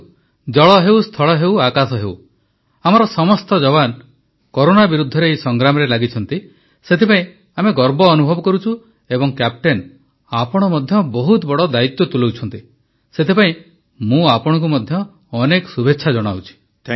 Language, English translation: Odia, See this time the country feels proud that whether it is water, land, sky our soldiers are engaged in fighting the battle against corona and captain you have fulfilled a big responsibility…many congratulations to you